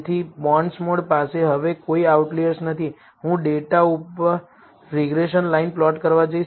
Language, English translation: Gujarati, So, bondsmod one does not have any outliers now and I am going to plot the regression line over the data